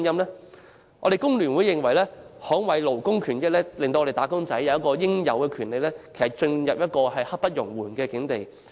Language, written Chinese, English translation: Cantonese, 香港工會聯合會認為，捍衞勞工權益，讓"打工仔"得到應有權利，已經刻不容緩。, The Hong Kong Federation of Trade Unions FTU holds that it brooks no delay to safeguard labour rights and interests and let wage earners enjoy their due rights